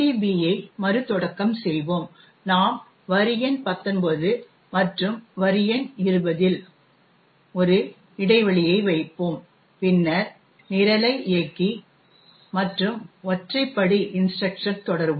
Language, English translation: Tamil, put a breakpoint in line number 19 and also a breakpoint in line number 20 and then run the program and this single step instruction